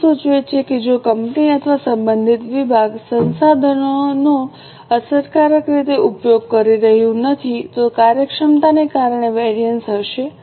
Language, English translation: Gujarati, As the name suggests, if company or the concerned department is not using the resources effectively, it will be the variance due to efficiency